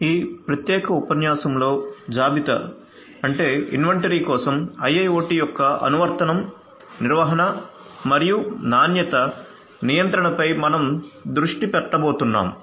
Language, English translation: Telugu, In this particular lecture, we are going to focus on the Application of IIoT for inventory management and quality control